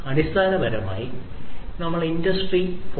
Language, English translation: Malayalam, So, basically we were talking about Industry 4